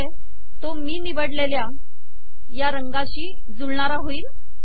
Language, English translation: Marathi, So that this is consistent with this color that I have chosen